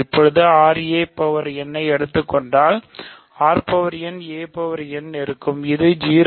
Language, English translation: Tamil, Now, if you take r a power n, this is r n a n, this is 0